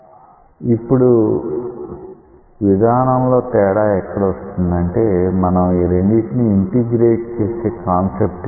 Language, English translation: Telugu, Now, the difference in approach comes in the concept by which we integrate these two